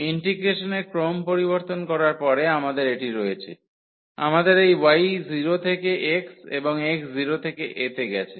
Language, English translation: Bengali, We have this after changing the order of integration, we have this y goes from 0 to x and x goes from 0 to a